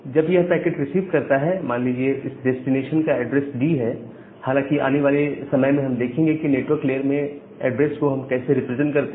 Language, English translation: Hindi, So, once it receives a packet, say I am giving or I am assuming that the address of this particular destination is D; later on we will see that how we represent this particular addresses in network layer